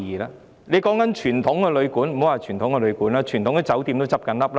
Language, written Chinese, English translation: Cantonese, 莫說傳統旅館，連傳統的酒店亦在倒閉。, Conventional hotels are closing down let alone conventional guesthouses